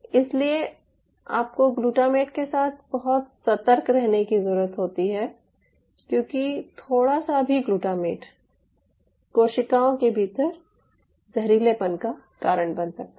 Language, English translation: Hindi, so you have to be very cautious with the glutamate, because a little bit of a higher glutamate could lead to toxicity within their cells in nature